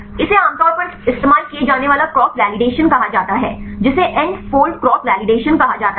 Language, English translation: Hindi, This is the commonly used cross validation this called the N fold cross validation